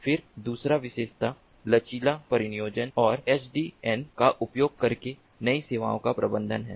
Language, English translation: Hindi, then the second feature is the flexible deployment and management of new services using sdn